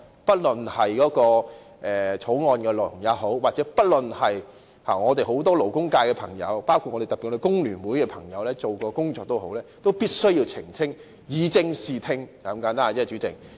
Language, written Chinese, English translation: Cantonese, 不論是法案的內容，或是很多勞工界朋友——特別是工聯會的朋友——曾進行的工作，我們都必須澄清，以正視聽，就是如此簡單。, We must clarify the provision of the Bill as well as the efforts made by many of our friends from the labour sector particularly those of FTU to set the record straight . It is as simple as that